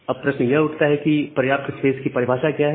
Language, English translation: Hindi, Now, the question comes that what is the definition of the sufficient space